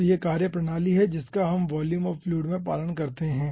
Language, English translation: Hindi, so this is, ah, the methodology which we follow in volume of fluid